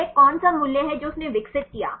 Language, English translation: Hindi, Which is the values he developed